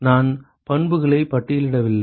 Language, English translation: Tamil, I did not list the property